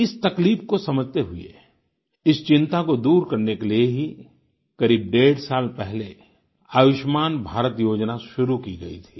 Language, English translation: Hindi, Realizing this distress, the 'Ayushman Bharat' scheme was launched about one and a half years ago to ameliorate this constant worry